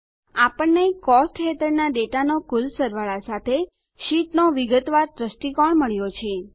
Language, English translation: Gujarati, We get the detailed view of the sheet along with the grand total of the data under Costs